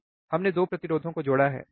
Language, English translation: Hindi, We have connected 2 resistors, right